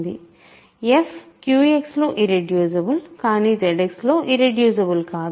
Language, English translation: Telugu, So, f is irreducible in Q X, but it is not irreducible in Z X